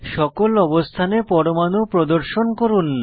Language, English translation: Bengali, Lets display atoms on all positions